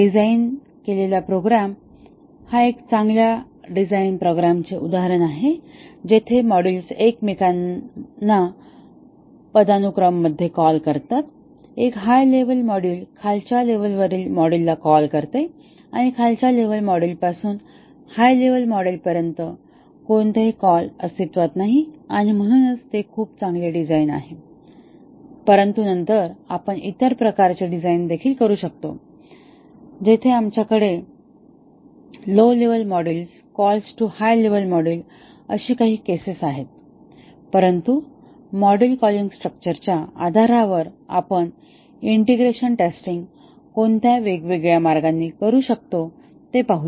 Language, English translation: Marathi, This is a good design is a layered design where the modules are arranged in a hierarchy, but we might also have situation where there is a call relation from M8 to M6 or M3 and so on, may not be in a hierarchy for not so well designed program this is an example of a well design program, where the modules call each other in a hierarchy, a top level module calls lower level module and no call from a lower level module to higher level module exists and therefore, its a very good design, but then we could also have other types of design where we have some cases of a lower level module calling higher level module, but let us see what are the different ways you can do the integration testing based on the module calling structure